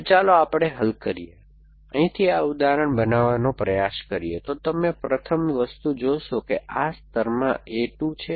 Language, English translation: Gujarati, So, let us solve, try to construct this example from here, so the first thing you will observe is that in this layer a 2